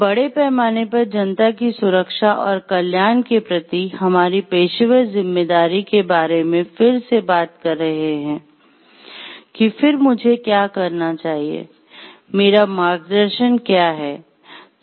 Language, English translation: Hindi, And then we talking again of our professional responsibility towards the public at large for their safety and welfare, then what should I do, what is my guidance